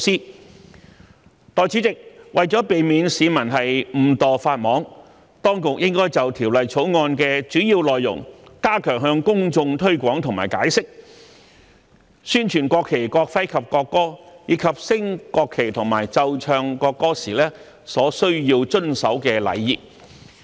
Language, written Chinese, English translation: Cantonese, 代理主席，為了避免市民誤墮法網，當局應就《條例草案》的主要內容，加強向公眾推廣和解釋，宣傳國旗、國徽及國歌，以及升國旗和奏唱國歌時所需遵守的禮儀。, Deputy President in order to prevent the public from violating the law inadvertently the authorities should step up the efforts in publicizing and explaining the main contents of the Bill and promote the national flag national emblem and national anthem as well as the etiquette to be observed when the national flag is raised and when the national anthem is performed or played